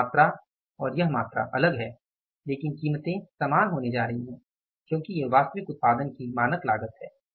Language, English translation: Hindi, This quantity and this quantity is different but the prices are going to be same because it is the standard cost of actual output